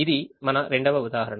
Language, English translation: Telugu, this was the second